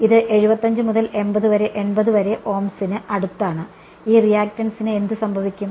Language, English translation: Malayalam, It is close to 75 to 80 Ohms and what happens to this reactance